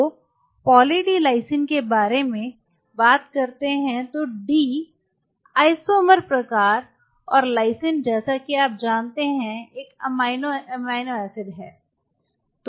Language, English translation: Hindi, So, talking about Poly D Lysine D is the isomer type and lysine as you know is an amino acid